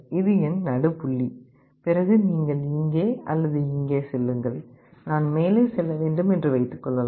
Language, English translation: Tamil, This is my middle point then you either go here or here, let us say I have to go up